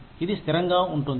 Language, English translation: Telugu, It will be sustainable